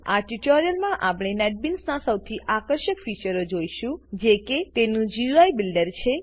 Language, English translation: Gujarati, In this tutorial, we will see one of the most attractive features of Netbeans, which is its GUI Builder